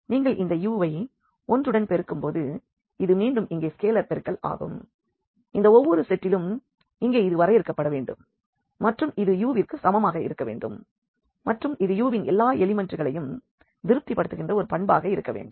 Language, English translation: Tamil, So, this is again here the scalar multiplication which must be defined for each this set here and it must be equal to u and this is again kind of a property which all the elements of this u must satisfy